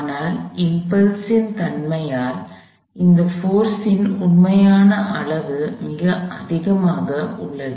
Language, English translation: Tamil, But, by nature of the impulse, the actual magnitude of that force is very high